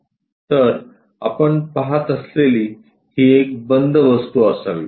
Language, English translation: Marathi, So, it should be a closed object we are supposed to see